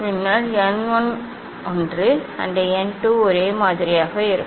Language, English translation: Tamil, then n 1 will be one and n 2 is same